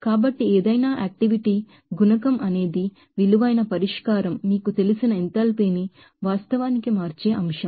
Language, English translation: Telugu, So, any activity coefficient is a factor which will actually change that you know enthalpy of that you know valued solution